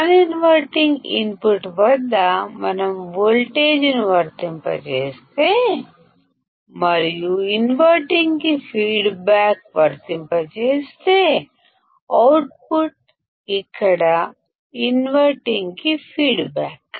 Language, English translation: Telugu, It means if we apply a voltage at the non inverting input and if we apply a feedback to the inverting; the output is feedback to inverting here